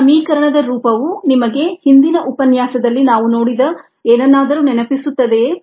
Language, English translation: Kannada, does this form of the equation remind you are something that we saw in the previous lecture